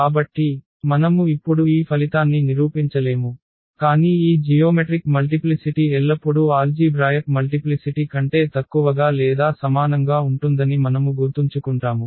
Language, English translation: Telugu, So, we will not prove this result now, but we will keep in mind that this geometric multiplicity is always less than or equal to the algebraic multiplicity